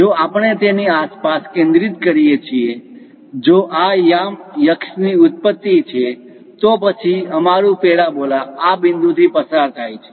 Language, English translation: Gujarati, If we are focusing centred around that, if this is the origin of the coordinate axis; then our parabola pass through this point